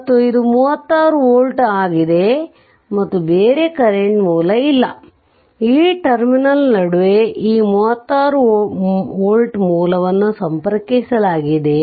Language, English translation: Kannada, So, and this is 36 volt and this is no other thing is there this is no electrical other just just in between these terminal this 36 volt source is connected